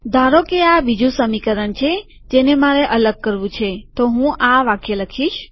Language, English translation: Gujarati, Suppose this is the second equation I want to discretize, So I write this statement